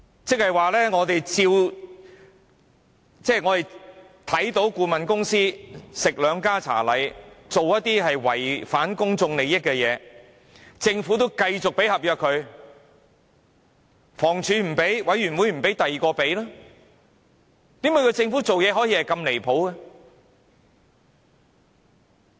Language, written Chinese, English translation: Cantonese, 這即是說，我們見到顧問公司"吃兩家茶禮"，做了一些違反公眾利益的事情，但政府卻仍然與它簽訂合約，房屋署不訂定，委員會不給簽訂，便由另一個部門與它簽訂好了。, In other words we observed that a consultancy got the best of both worlds and committed violations of public interest but the Government still signed a contract with it―if the Housing Department did not sign it and neither did the committee then another department would do so